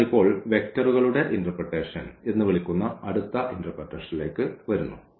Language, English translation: Malayalam, So, now coming to the next interpretation which we call the vectors interpretation